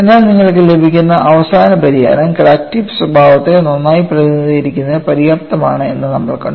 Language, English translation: Malayalam, But we have seen whatever the final solution you get is reasonably good enough to represent the crack tip behavior quite well